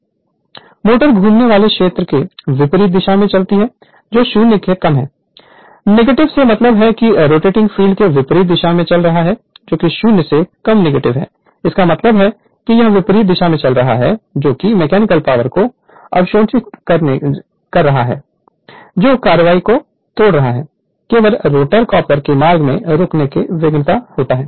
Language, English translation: Hindi, The motor runs in opposite direction to the rotating field that is less than 0, negative means is running in opposite direction to the rotating field that is n less than 0 negative means it is running in the opposite direction right absorbing mechanical power that is breaking action which is dissipated as heat in the rotor copper right only